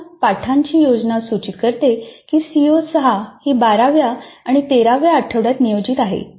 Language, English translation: Marathi, Now lesson plan indicates that CO6 is planned for weeks 12 and 13